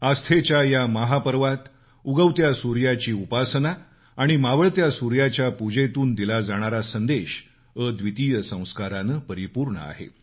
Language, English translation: Marathi, In this mega festival of faith, veneration of the rising sun and worship of the setting sun convey a message that is replete with unparalleled Sanskar